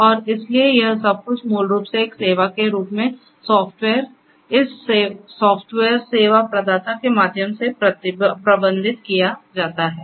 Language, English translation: Hindi, And so everything this software as a service basically, is managed through this software service provider